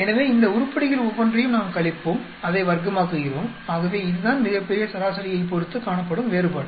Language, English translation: Tamil, So, each one of these items we subtract, square it up, so that is the variation with respect to the, the grand average